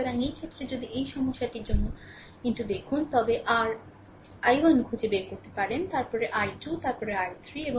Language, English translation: Bengali, So, in this case, if you look into that for this problem, you have to find out your you have to find out your i 1, then i 2, then i 3 right